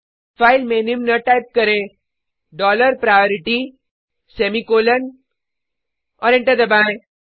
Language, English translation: Hindi, Type the following in the file dollar priority semicolon and press Enter